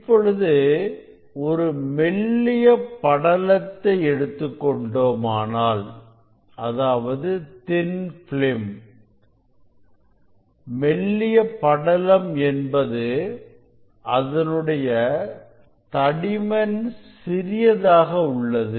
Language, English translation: Tamil, if you take a thin; so thin film, if you take a thin film means thickness is very small